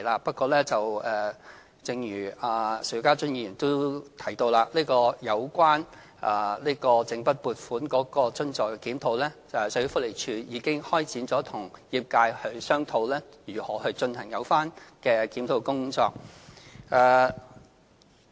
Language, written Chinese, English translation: Cantonese, 不過，正如邵家臻議員也提到，有關整筆撥款津助的檢討，社會福利署已經開展與業界商討如何進行有關的檢討工作。, Nevertheless as mentioned by Mr SHIU Ka - chun the Social Welfare Department SWD has already begun discussing with the sector ways to conduct a review of the lump sum grant